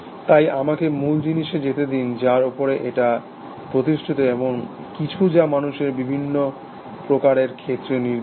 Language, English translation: Bengali, So, let me go to the fundamental thing, what does this lie on, something which if is specific to the human species